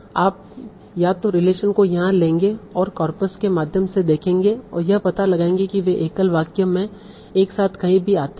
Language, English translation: Hindi, You will take the, you will either take the relations here and go through the corpus and find out wherever they occur together in the single sentence